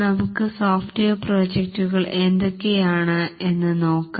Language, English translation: Malayalam, Now let's look at what are the types of software projects